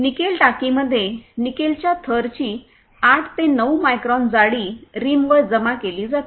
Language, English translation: Marathi, In the Nickel tank, 8 to 9 micron thickness of Nickel layer is deposited on the rim